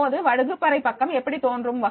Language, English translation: Tamil, ) Now how the classroom page will appear